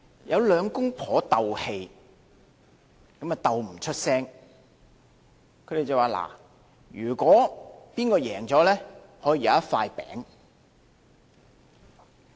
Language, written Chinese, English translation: Cantonese, 有兩夫妻鬥氣，鬥不說話，他們說："勝的一方可以有一塊餅"。, A couple who was having a quarrel contended to stop talking . They said the one who wins can have a piece of cake